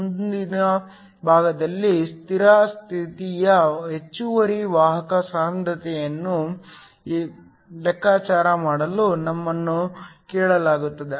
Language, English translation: Kannada, In the next part, we are asked to calculate the steady state excess carrier concentration